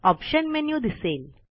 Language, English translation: Marathi, The Options menu appears